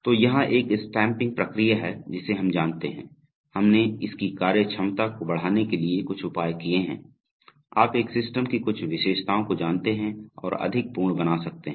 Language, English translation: Hindi, So here is a stamping process we know this process, so we will, we have made some addition to its functionality to be able to explain, you know certain features of a system and make it more complete